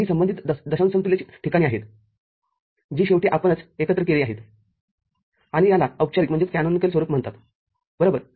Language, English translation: Marathi, So, these are the corresponding decimal equivalent places that is what you finally, sum it up